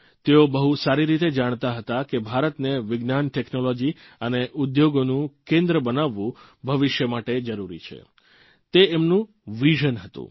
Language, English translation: Gujarati, He knew very well that making India a hub of science, technology and industry was imperative for her future